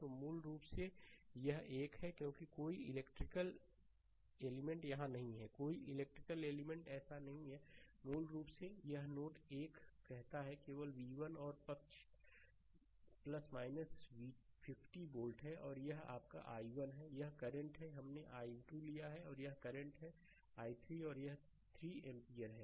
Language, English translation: Hindi, So, basically this one because no electrical element is here no electrical element is so, basically it say node 1, right only v 1 and this side is ah plus minus 50 volt and this is your ah i 1, this current, we have taken i 2 and this current is i 3 and this is 3 ampere